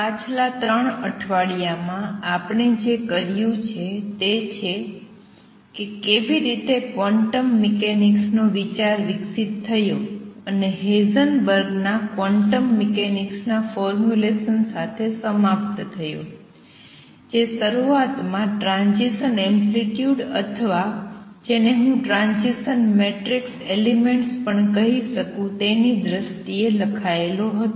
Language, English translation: Gujarati, What we have done so far in the past 3 weeks is seen how the quantum mechanics idea developed and culminated with Heisenberg’s formulation of quantum mechanics which initially was written in terms of transition, amplitudes or, what I will also call transition matrix elements and this was reformulated then in terms of matrix mechanics by Born, Jordan and Heisenberg